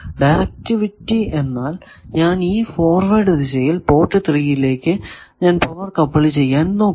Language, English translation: Malayalam, Directivity means that same thing that in forward direction I am trying to couple power to port 3 you see this diagram